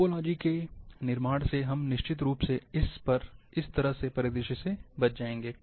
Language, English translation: Hindi, The construction of topology, will definitely avoid this kind of scenario